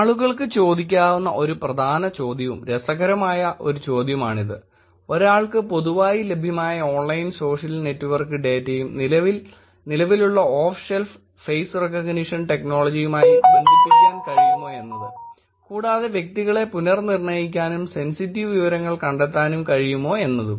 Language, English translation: Malayalam, The one important question and one interesting question that people could ask is, can one combine publicly available online social network data with the off the shelf face recognition technology which is something that is already available, and be able to re identifying individuals and finding potentially sensitive information